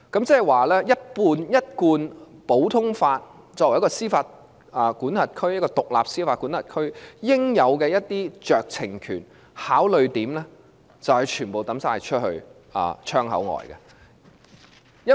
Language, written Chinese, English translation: Cantonese, 即是說，根據一貫普通法，香港作為獨立司法管轄區應有的酌情權和考慮點，便需全部丟棄。, That is to say as an independent jurisdiction Hong Kong has to forsake all the power of discretion and considerations under the common law